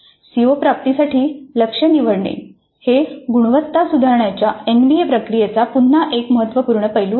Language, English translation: Marathi, This selecting the target for CO attainment is again a crucial aspect of the NBA process of quality improvement